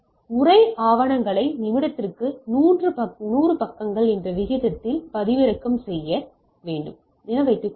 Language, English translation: Tamil, So, assume we need to download the text documents at the rate 100 pages per minute